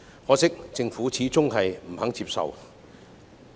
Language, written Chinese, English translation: Cantonese, 可惜，政府始終不肯接受。, Unfortunately the Government has been reluctant to accept that